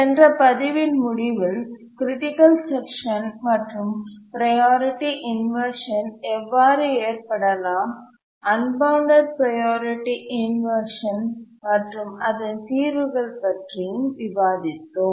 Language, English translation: Tamil, Towards the end of the last lecture, we are discussing about a critical section and how a priority inversion can arise, unbounded priority inversions and what are the solutions